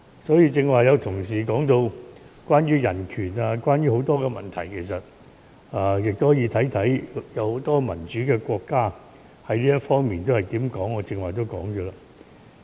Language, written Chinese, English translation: Cantonese, 所以，就剛才有些同事說到關於人權或其他問題，大家可以看看一些民主國家對這問題的看法，與我剛才所說的不謀而合。, For that reason just now some colleagues have mentioned human rights or other issues I think Members may look at the views of some democratic countries towards this issue and they just so happen to coincide with what I have said just now